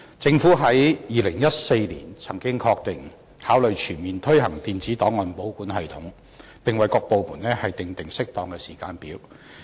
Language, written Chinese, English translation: Cantonese, 政府在2014年曾經確認會考慮全面推行電子檔案保管系統，並為各部門訂定適當的時間表。, In 2014 the Government confirmed that consideration would be given to implementing ERKS across the board and appropriate timetable would be provided for various departments